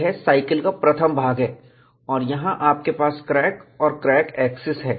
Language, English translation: Hindi, This is the first part of the cycle and you have the crack and the crack axis here